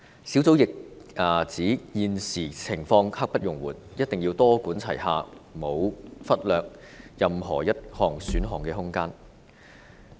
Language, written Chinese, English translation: Cantonese, 小組亦指現時情況刻不容緩，一定要多管齊下，沒有忽略任何一項選項的空間。, The Task Force also pointed out that the present situation is pressing and that a multi - pronged approach must be adopted as there is no room for any of the options to be neglected